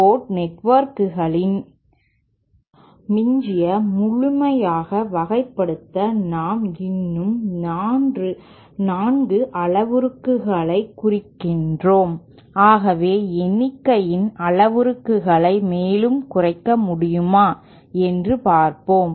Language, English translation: Tamil, So to completely characterize the 2 port network mean at this stage we still mean 4 parameters, let us see whether we can further reduce the number of parameters